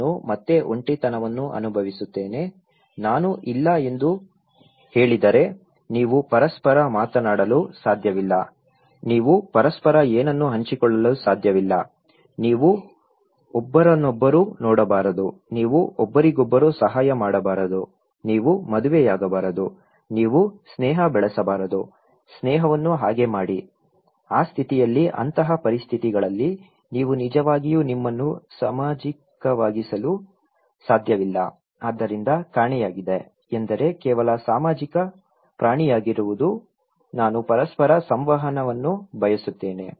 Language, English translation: Kannada, I will again feel isolated, if I say no, you cannot talk to each other, you cannot share anything with each other, you cannot look at each other, you cannot help each other, you cannot marry, you cannot develop friendship; make friendship so, in that condition; in that conditions you cannot really make yourself social so, what is missing is that simply being a social animal, I want interactions with each other